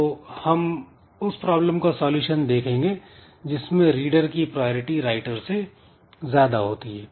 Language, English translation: Hindi, So, we'll be looking into some solution where the readers are having priorities over the writers